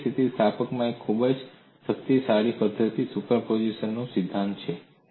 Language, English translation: Gujarati, In linear elasticity, one of the very powerful methodologies is principle of superposition